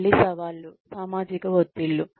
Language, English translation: Telugu, The challenges again are, social pressures